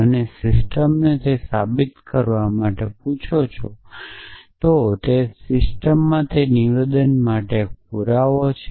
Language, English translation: Gujarati, And ask the system to prove it then there exists a proof for that statement in that system essentially